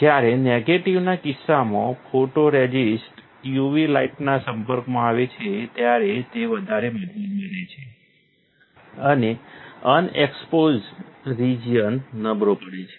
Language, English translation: Gujarati, When the photoresist is exposed to UV light in case of negative, it will become stronger; the unexposed region become weaker